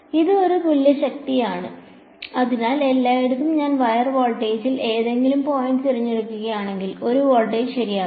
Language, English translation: Malayalam, It is a equipotential; so, everywhere if I pick any point on the wire voltage will be 1 voltage right